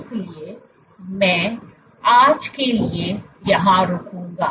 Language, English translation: Hindi, So, I will stop here for today